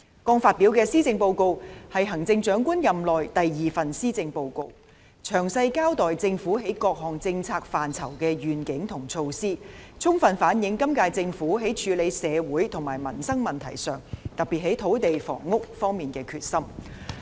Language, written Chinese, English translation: Cantonese, 剛發表的施政報告是行政長官任內的第二份施政報告，詳細交代政府在各政策範疇的願景和措施，充分反映今屆政府在處理社會和民生問題上，特別是在土地和房屋方面的決心。, The Policy Address just presented is the second Policy Address of the Chief Executive . It gives a detailed account of the Governments vision and initiatives in various policy areas . It fully reflects the determination of the current - term Government in handling social and livelihood issues especially in respect of land and housing